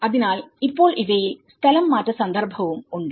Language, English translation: Malayalam, So, now in these, we have the relocation context as well